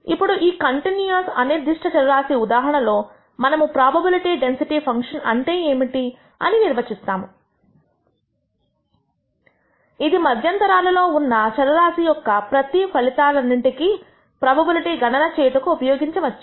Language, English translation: Telugu, Now, in the case of a continuous random variable, we define what is known as a probability density function, which can be used to compute the probability for every outcome of the random variable within an interval